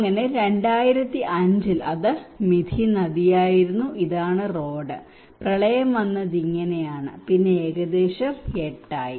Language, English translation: Malayalam, So in 2005 it was a Mithi river, and this is the road, and the flood came like this okay gradually and then it was around 8